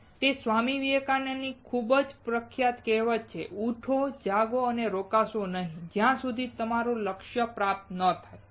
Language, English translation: Gujarati, And it is a very very famous saying by Swami Vivekanand, Arise, Awake and Stop not, until your goal is reached